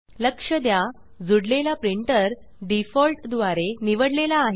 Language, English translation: Marathi, Notice that the connected printer is selected by default